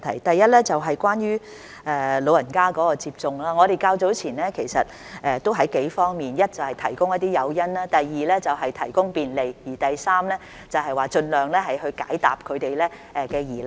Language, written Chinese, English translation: Cantonese, 第一，關於長者接種疫苗的情況，我們較早前已從幾方面着手：第一，是提供一些誘因；第二，是提供便利；第三，是盡量解答他們的疑難。, Firstly regarding the vaccination of the elderly we have already started to work on several aspects earlier First to provide some incentives; second to provide convenience; and third to answer their questions as much as possible